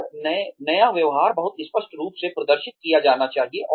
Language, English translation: Hindi, And, the new behavior should be very clearly displayed